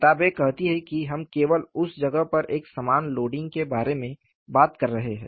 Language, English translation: Hindi, The books say we are only talking about a uniform loading at that place